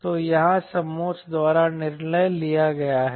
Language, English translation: Hindi, so that is decided by the contour here